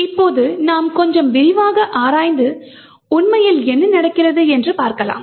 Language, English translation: Tamil, Now we could investigate a little bit in detail and see what actually is happening